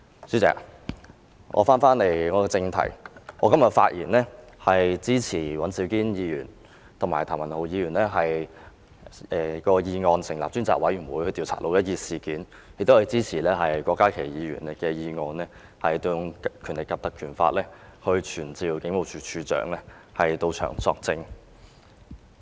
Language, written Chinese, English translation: Cantonese, 主席，就這議題，我今天發言支持尹兆堅議員和譚文豪議員的議案，成立專責委員會調查"六一二"事件；亦支持郭家麒議員的議案，根據《立法會條例》傳召警務處處長到本會作證。, President in respect of this subject I speak today to support the motions proposed by Mr Andrew WAN and Mr Jeremy TAM to appoint a select committee to investigate the 12 June incident; I also support Dr KWOK Ka - kis motion proposed under the Legislative Council Ordinance to summon the Commissioner of Police to testify in this Council